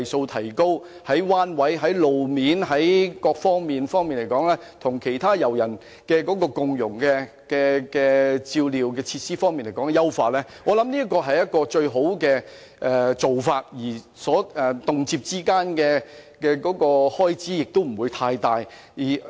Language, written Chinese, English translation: Cantonese, 我認為這是顧及彎位和路面情況及優化與其他遊人共融照料的設施等各方面的最佳方法，而當中所涉及的開支亦不會太大。, I consider it the best option that takes into account such factors as bends and road conditions and enhancement of facilities for mutual care among visitors without incurring considerable costs